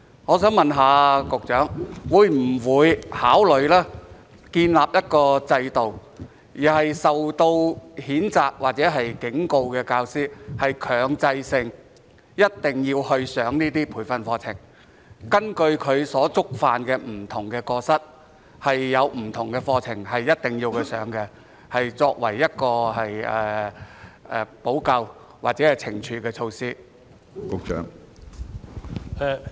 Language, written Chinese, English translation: Cantonese, 我想問局長會否考慮建立一個制度，對於受到譴責或警告的教師，要強制他們參加這些培訓課程，根據他們的不同過失，必須參加不同的相關課程，以作為補救或懲處的措施？, I would like to ask the Secretary whether he will consider setting up a system under which those teachers who have been reprimanded or warned must attend such training programmes or attend different programmes according to the nature of their wrongdoings as a remedial or punitive measure